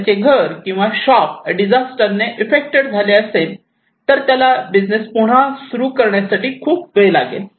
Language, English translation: Marathi, Once his house or his shop is affected by disaster, it takes a long time for him to run the business again because he has very little money